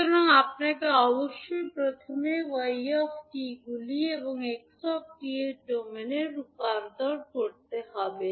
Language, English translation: Bengali, So you have to first convert y t into s domain and x t into s domain